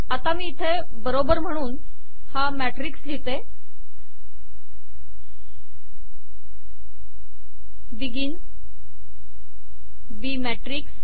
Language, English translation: Marathi, Let me now say that this is equal to the right hand side matrix of begin b matrix